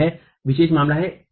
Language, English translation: Hindi, So, this is a special case